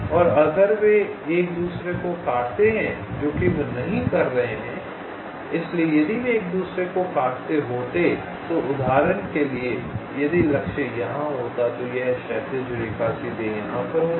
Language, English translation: Hindi, so if they would have intersected, i would have, for, for example, if the target was here, then this horizontal line would have intersected here directly